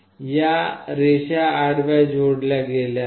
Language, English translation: Marathi, These lines are horizontally connected